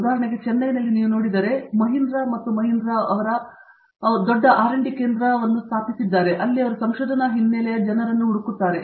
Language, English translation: Kannada, For example, in Chennai itself if you look at it Mahindra and Mahindra have set up a big R&D center, where they are looking for people with the research background